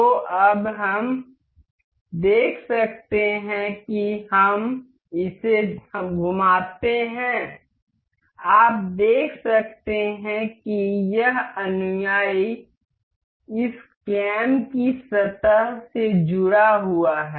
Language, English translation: Hindi, So, now we can see as we rotate this you can see, this follower is attached to the surface of this cam